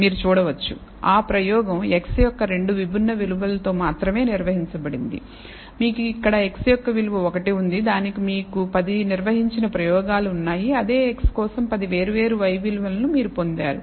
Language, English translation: Telugu, You can see that the experiment is conducted only at 2 distinct values of x, you have one value of x here for which you have 10 experiments conducted you have got 10 different y values for the same x